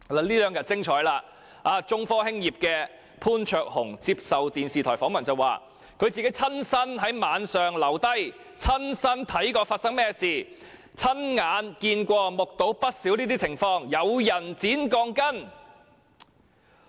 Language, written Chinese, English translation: Cantonese, 這兩天十分精彩，中科的潘焯鴻先生接受電視台訪問時表示，他曾親身在晚上留在地盤，親眼看見發生甚麼事，目睹不少該等情況，有人剪鋼筋。, What has been revealed over the past two days is spectacular . Mr Jason POON of China Technology said in a television interview that he had personally stayed on the construction site at night and seen with his own eyes some people cutting steel bars on quite a number of occasions